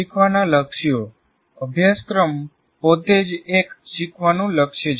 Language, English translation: Gujarati, Learning goals can be, what do you call, the curriculum itself is a learning goal